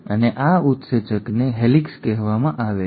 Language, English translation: Gujarati, And this enzyme is called as Helicase